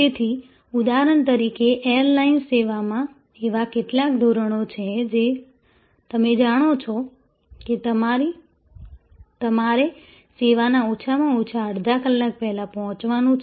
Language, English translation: Gujarati, So, for a example in airline service, there are some standards of that you know you need to report at least half an hour before the service